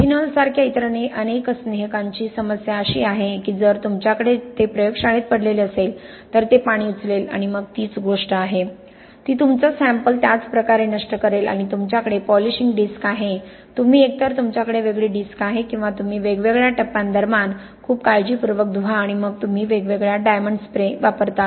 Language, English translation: Marathi, The problem with many other lubricants like ethanol, is if you have it lying around in the lab it will pick up water and then that is the same thing, it kind of destroy your sample the same way and you have a polishing disk, you either have separate disk or you very carefully wash between the different stages and then you use the different diamond sprays